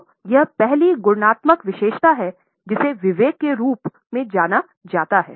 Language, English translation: Hindi, So, this is the first qualitative characteristic known as prudence